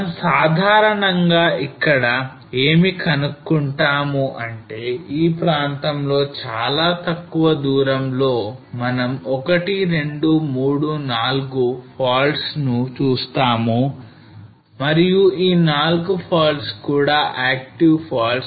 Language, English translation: Telugu, So what we basically found here was that in this area in a very short distance we looked at 1, 2, 3, 4 faults and all 4 faults are active faults